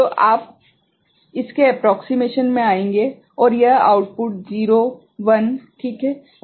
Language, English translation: Hindi, So, you will come to the approximation of this and this output this 0s 1s ok